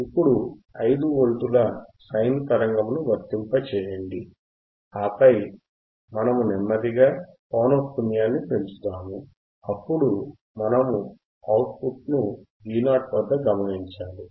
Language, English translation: Telugu, Now apply a 5 Volts sine wave we have applied 5 Volt sine wave, we will applied say 5 Volt sine wave and then we will slowly increase the frequency, then we observe the output at V o